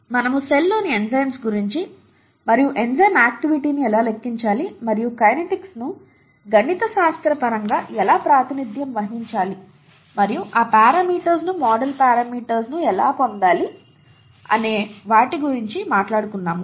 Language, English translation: Telugu, We talked of enzymes in the cell and how to quantify the enzyme activity and how to get how to represent the kinetics mathematically and how to get those parameters, the model parameters